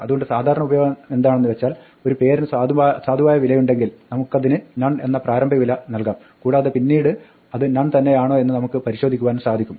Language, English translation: Malayalam, So, the typical use is that when we want to check whether name has a valid value we can initialize it to none and later on we can check if it is still none